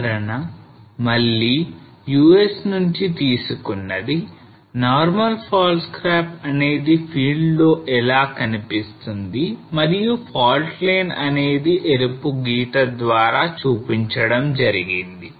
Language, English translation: Telugu, Examples again from US normal fault scarps how it looks like in the field and the fault line has been shown by the red line